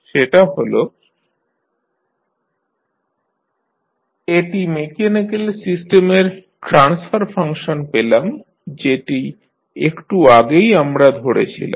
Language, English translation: Bengali, So, this is what you get the transfer function of the mechanical system which you just considered